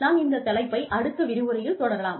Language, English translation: Tamil, And, we will continue with this topic, in the next lecture